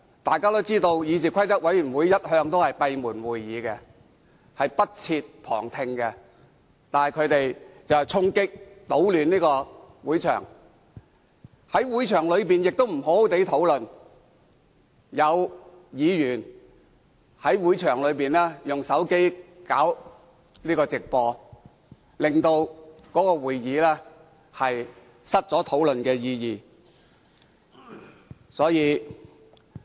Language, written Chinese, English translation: Cantonese, 大家都知道，議事規則委員會的會議一向閉門舉行，不設旁聽，但他們卻衝擊、搗亂會場，在會場內亦沒有好好參與討論，更在會場內利用手機直播會議過程，令會議失卻意義。, As we all know meetings of CRoP have all along been held in private and no observers have been allowed . However they stormed and disrupted the meeting venue; they did not properly take part in the discussion but even broadcast live the proceedings of the meeting with their mobile phones . The meeting has thus become senseless